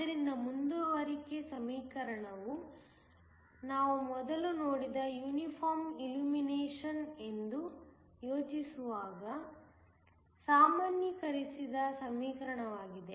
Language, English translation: Kannada, So, the continuity equation is a generalized equation when we think of say Uniform Illumination, which we just saw before